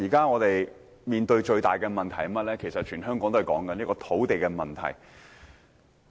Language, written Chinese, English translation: Cantonese, 我們目前面對最大的問題，便是困擾全港市民的土地問題。, The biggest problem faced by us now is the problem of land supply which plagues all Hong Kong people